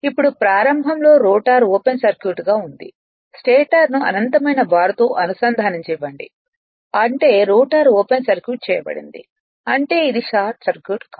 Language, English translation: Telugu, Now assume initially the rotor winding to open circuited and let the stator be connected to an infinite bar; that means, you assume the rotor is open circuited it is it is not short circuited